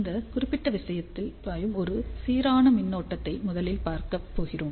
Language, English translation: Tamil, So, we are going to first look at a uniform current which is flowing through this particular thing